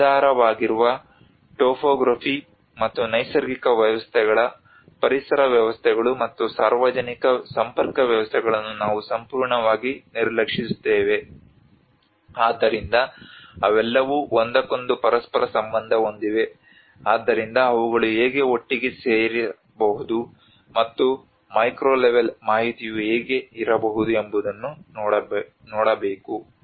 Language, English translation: Kannada, We completely ignore the underlying topography and the natural systems ecosystems, and the public linkage systems so they all are interrelated to each other so one has to see the different sets of data how they can come together, and how can macro level information can be informed the micro level information